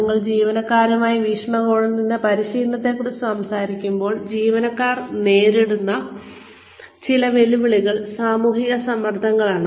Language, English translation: Malayalam, When we talk about training, from the perspective of the employees, some challenges, that employees face are, social pressures